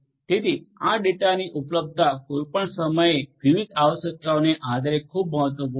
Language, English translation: Gujarati, So, availability of this data at any time based on the different requirements is very important